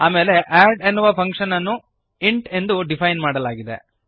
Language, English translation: Kannada, Then we have add function defined as int